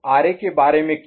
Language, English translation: Hindi, And what about RB